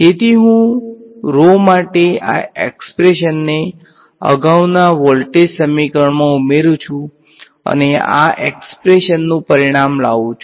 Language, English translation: Gujarati, So, I plug this expression for rho into the previous voltage equation and outcomes this expression